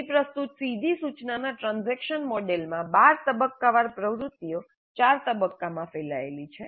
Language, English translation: Gujarati, The transaction model of direct instruction presented here has 12 instructional activities spread over four phases